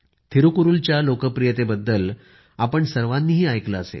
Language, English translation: Marathi, All of you too heard about the populairity of Thirukkural